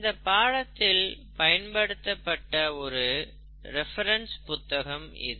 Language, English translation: Tamil, This is, the, cover of one of the reference books that will be used for this course